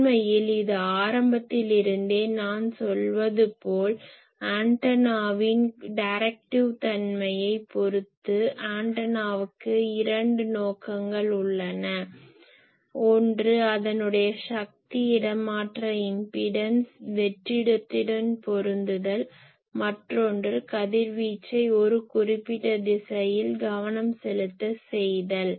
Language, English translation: Tamil, Actually , this is the characterization of directive nature of the antenna as I am saying from the beginning , antenna has two purposes; one is it is power transfer impedance matching with the free space, another is directing the radiation make it focused in a particular direction